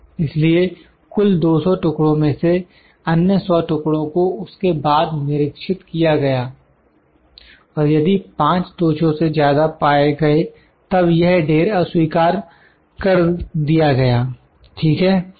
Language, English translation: Hindi, So, other 100 pieces of total 200 pieces as then inspected and if more than 5 defects are found then this is lot is rejected, ok